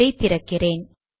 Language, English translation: Tamil, So let me open this